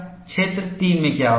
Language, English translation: Hindi, What happens in region 1